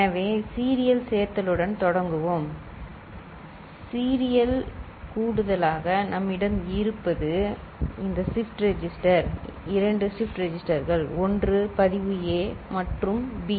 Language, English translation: Tamil, So, we begin with serial addition so, in serial addition what we have is this shift register two shift registers we are putting one is your register A and register B